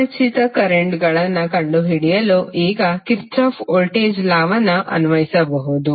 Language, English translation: Kannada, Now you can simply apply the Kirchhoff's voltage law to find the unknown currents